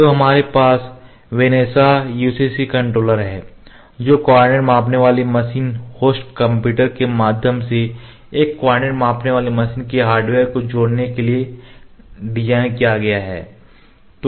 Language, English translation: Hindi, So, we have vanesa UCC controller which is designed to link the hardware of a coordinate measuring machine through the coordinate measuring machine host computer